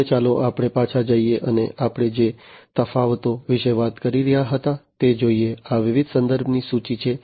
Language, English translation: Gujarati, Now, let us go back and look at the differences that we were talking about, these are the list of different references